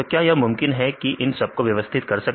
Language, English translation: Hindi, So, is it possible to arrange this in order